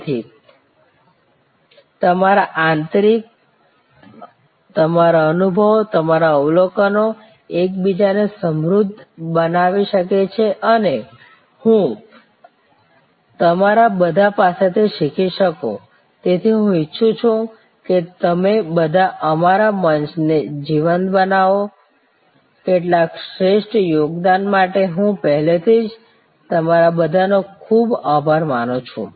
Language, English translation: Gujarati, So, that your insides, your experiences, your observations can enrich each other and I can learn from all of you, so I would like all of you to make our forum lively, I am already very thankful to all of you for contributing some excellent material